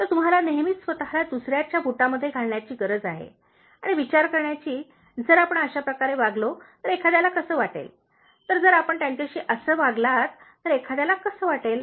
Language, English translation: Marathi, So, you need to all the time put yourself into the shoes of others and think, how somebody would feel if you talk this way, okay, so how somebody would feel if you treat them this way